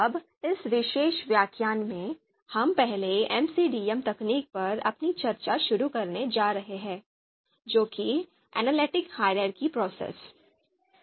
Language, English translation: Hindi, Now in this particular lecture, we are going to start our discussion on the first technique of this course, first MCDM technique that is AHP, that is Analytic Hierarchy Process